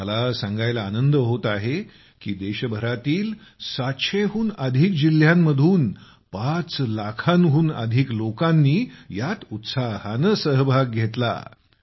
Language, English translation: Marathi, I am glad to inform you, that more than 5 lakh people from more than 700 districts across the country have participated in this enthusiastically